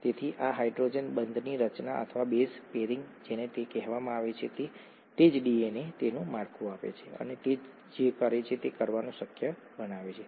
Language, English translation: Gujarati, So this hydrogen bond formation or base pairing as it is called, is what gives DNA its structure and it makes it possible to do what it does